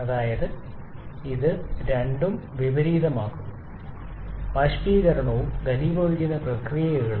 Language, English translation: Malayalam, That is, it inverses both evaporation and condensation processes